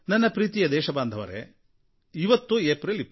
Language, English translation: Kannada, My dear fellow citizens, today is the 24th of April